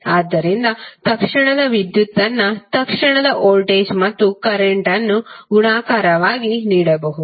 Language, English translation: Kannada, So instantaneous power P can be given as multiplication of instantaneous voltage and current